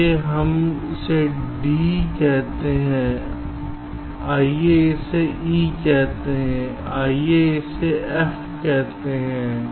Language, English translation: Hindi, lets call it d, lets call it e, lets call it f